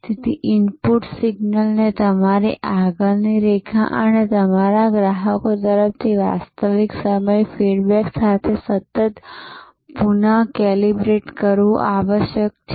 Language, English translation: Gujarati, So, the input signal therefore continuously must be recalibrated with real time feedback from your front line and from your customers